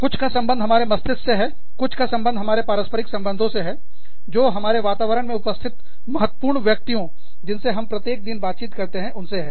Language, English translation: Hindi, Something, to do with our mind, and something, to do with our interactions, with the concerned people, with the important people, with the people, who we interact with, on a daily basis, in our environment